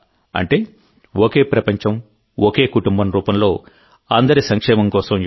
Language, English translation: Telugu, Yoga for the welfare of all in the form of 'One WorldOne Family'